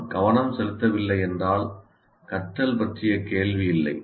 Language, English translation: Tamil, If I'm not able to, if I'm not paying attention, there is no question of learning